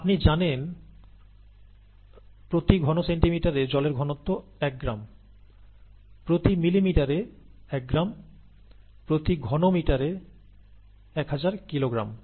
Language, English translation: Bengali, You know that the density of water is one gram per centimeter cubed, one, one gram per ml, or ten power three kilogram per meter cubed, okay